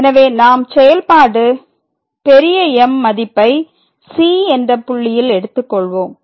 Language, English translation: Tamil, So, we take that the function is taking this value at a point